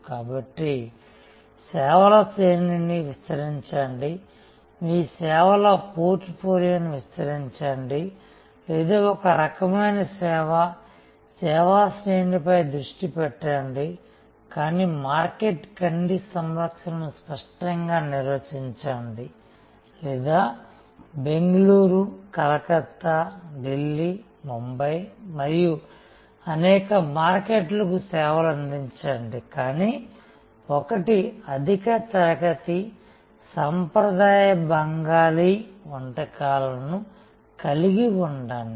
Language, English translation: Telugu, So, either expand on range of services, expand your portfolio of services or remain focused on a type of service, range of service, but crisply defined market eye care or serve many markets Bangalore, Calcutta, Delhi, Bombay and so on, but have one offering high class traditional Bengali cuisine